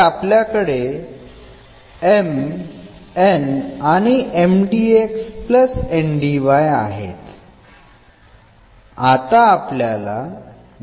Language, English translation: Marathi, So, here we have M and this is N; M dx, N dy